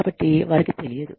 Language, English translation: Telugu, So, they do not know